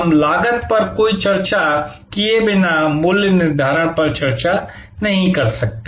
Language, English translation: Hindi, We cannot have a discussion on pricing without having any discussion on costs